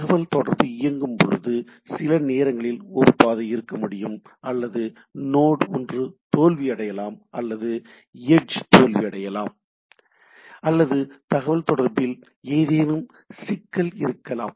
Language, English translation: Tamil, I cannot able to switch or there can be a path at times while the communication is on, there can be one of the node fails or edge fails and there can be communication problem right